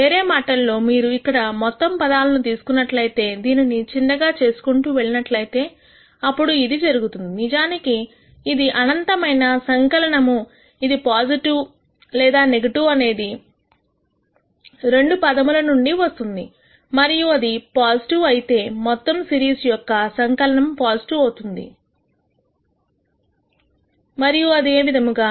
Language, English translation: Telugu, So, in other words if you take this whole thing right here if you keep making this as small as possible or as small as needed then what will happen is, the fact that whether this in nite sum is positive or negative can be identified only by the first term and if that is positive then the whole sum series sum is going to be positive and so on